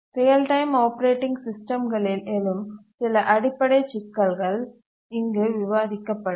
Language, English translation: Tamil, So let's get started with the basic issues in real time operating systems